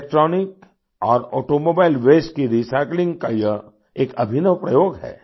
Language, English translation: Hindi, This is an innovative experiment with Electronic and Automobile Waste Recycling